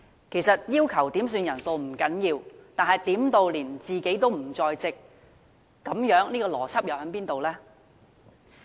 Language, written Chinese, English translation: Cantonese, 其實，要求點算人數不要緊，但點算時連自己也不在席，邏輯何在？, Actually it is acceptable to request headcounts but what is the logic of a Member requesting a headcount and then not attending the meeting?